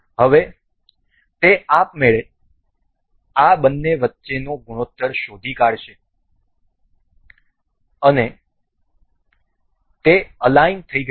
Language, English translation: Gujarati, Now, it will automatically detect the ratio between these two and we it is aligned